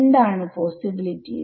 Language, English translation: Malayalam, What are the possibilities